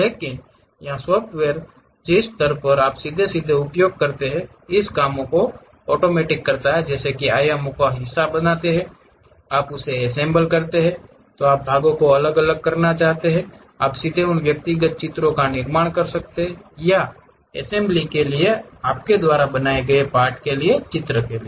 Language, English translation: Hindi, But here at the software level you straight away use dimensions create part, you assemble it, then you want to really separate the parts, you can straight away construct those individual drawings, either for assembly or for part drawings you can make